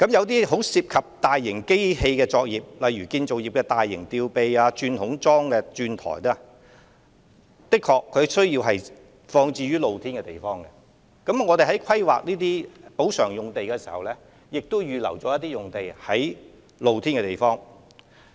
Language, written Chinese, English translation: Cantonese, 當然，有些涉及大型機器的作業，例如建造業的大型吊臂、鑽孔樁的鑽台，的確需要放置於露天場地，故此我們在規劃有關的補償用地時，已在露天場地預留貯存用地。, As for operations which involve large machinery such as heavy - duty crane or drilling platform of bored piles used in the construction industry the equipment should indeed be stored in open area . In this connection areas for storage purpose have already been reserved in open - air sites at the time when we are planning to provide land for reprovisioning the affected operations